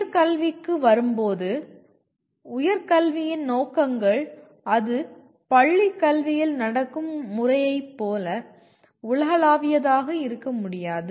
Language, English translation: Tamil, Coming to higher education, we are, the aims of higher education cannot be and are not that universal like the way it happens in school education